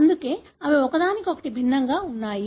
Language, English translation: Telugu, That’s why they are different from each other